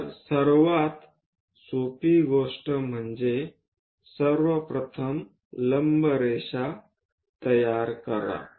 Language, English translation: Marathi, So, the easiest thing is, first of all, construct a perpendicular line